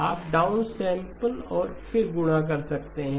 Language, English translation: Hindi, You can downsample and then multiply